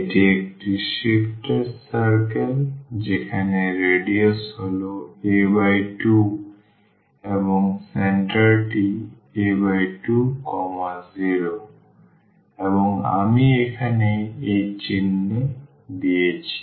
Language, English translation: Bengali, This is a sifted circle where radius is a by 2 and the center is a by 2 and 0 and I shown here in the in this figure